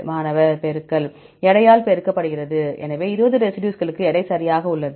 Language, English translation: Tamil, Multiply Multiplied by weight; so for the 20 residues we have the weight right, so w